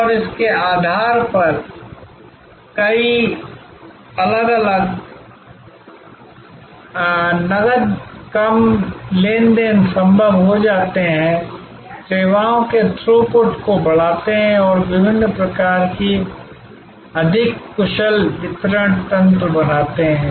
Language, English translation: Hindi, And based on that, many different cash less transactions become possible, enhancing the throughput of services and creating different sort of more efficient delivery mechanisms